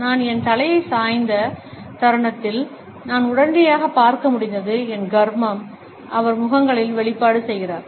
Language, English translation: Tamil, The moment I tilted my head, I could instantly see the, what the heck is he doing expression on the faces